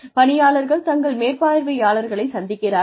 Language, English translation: Tamil, Employees come and meet their supervisors